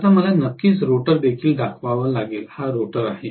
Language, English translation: Marathi, Now, I have to definitely show the rotor also, here is my rotor